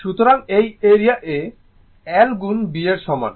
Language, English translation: Bengali, So, this is the area A is equal to l into b right